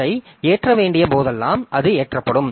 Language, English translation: Tamil, So, whenever you need to load it, so then it will be loaded